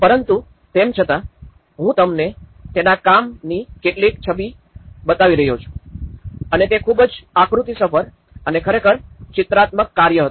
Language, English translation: Gujarati, But still, I could show you some images of what his work and it was very diagrammatic and really illustrative work